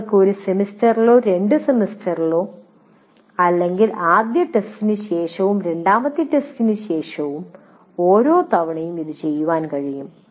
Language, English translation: Malayalam, You can do it once in a semester or twice in a semester or generally immediately after the first test and immediately after the second test